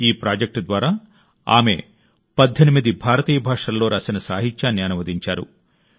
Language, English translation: Telugu, Through this project she has translated literature written in 18 Indian languages